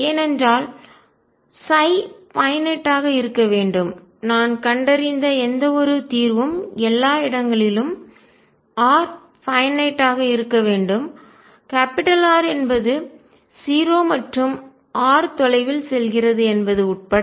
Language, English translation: Tamil, Because psi should be finite, if I whatever solution I find r should be finite everywhere including r equals 0 and r going far away